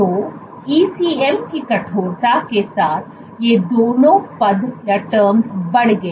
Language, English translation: Hindi, So, both these terms increased with ECM stiffness